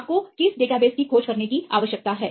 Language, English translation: Hindi, which database you need to search